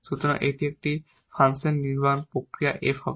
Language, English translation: Bengali, So, this is the construction process of this function f